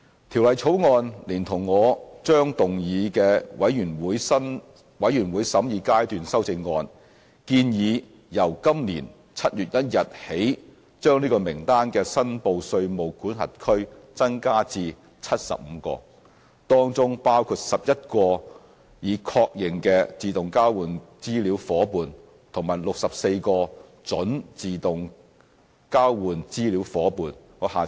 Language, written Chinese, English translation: Cantonese, 《條例草案》連同我將動議的全體委員會審議階段修正案，建議由今年7月1日起把這名單的"申報稅務管轄區"增加至75個，當中包括11個已確認的自動交換資料夥伴及64個準自動交換資料夥伴。, The Bill together with the Committee stage amendments to be moved by me proposes to increase the number of reportable jurisdictions on the list to 75 including 11 confirmed AEOI partners and 64 prospective AEOI partners with effect from 1 July this year